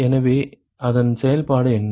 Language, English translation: Tamil, So, what is it function of